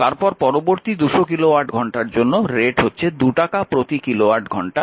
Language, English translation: Bengali, So, it is your next 200 kilowatt hour at rupees 2 so, it is 2 into 200 so, rupees 400